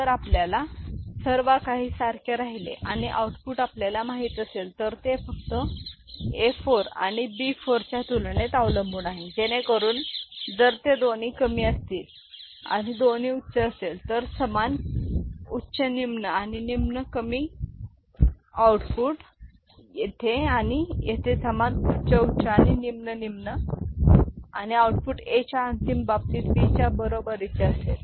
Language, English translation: Marathi, So, if everything else remains same and the output is generated you know, depends only on A 4 and B 4 comparison so as to say, ok, then if both of them are low and both of them high will generate same high high and low low output here and over here same high high and low low and the output will be A is equal to B in the final case